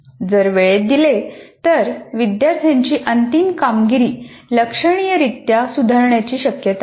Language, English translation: Marathi, If that is given, the final performance of the student is likely to improve significantly